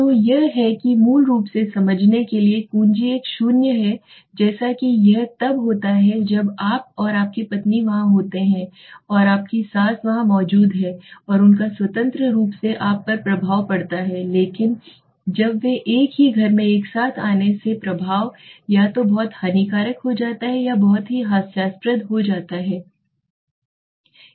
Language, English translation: Hindi, So that is basically to understand key is a simple zero it is like when you and your wife is there and your mother in law is there and they independently have an effect on you but when they come together in the same house the effect becomes either very detrimental or very humorous in humorous side or very highly positive okay so that is what okay